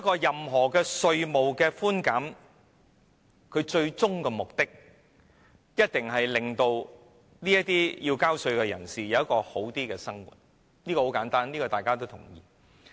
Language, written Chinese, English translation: Cantonese, 任何稅務寬減，最終目的一定是要令納稅人有較好的生活；這是很簡單的概念，我相信大家都會同意。, The ultimate aim of any tax concession is surely to improve the lives of taxpayers . This is a very simple concept which I believe everyone agrees with